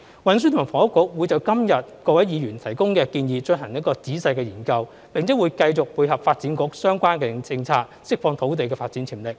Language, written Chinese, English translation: Cantonese, 運輸及房屋局會就今天各位議員提供的建議進行仔細研究，並會繼續配合發展局的相關政策，釋放土地發展潛力。, The Transport and Housing Bureau will carefully study the proposals provided by Members today and continue to tie in with the relevant policies of the Development Bureau for unleashing land development potential